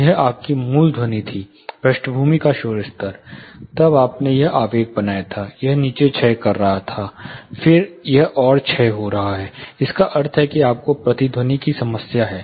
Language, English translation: Hindi, This was your original sound, background noise level you made this impulse, it was decaying down, you find a sharp, then it is further decaying down, which means you have a problem of echo